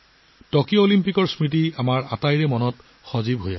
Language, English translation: Assamese, The memories of the Tokyo Olympics are still fresh in our minds